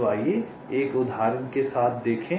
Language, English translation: Hindi, ok, so lets see with an example